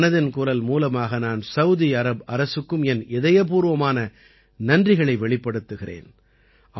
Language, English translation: Tamil, Through Mann Ki Baat, I also express my heartfelt gratitude to the Government of Saudi Arabia